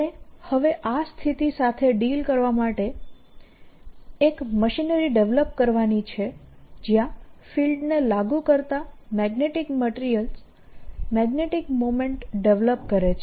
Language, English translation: Gujarati, what we want to do now is develop a machinery to using these to deal situations where there are magnetic materials sitting that develop magnetic moment when a field is applied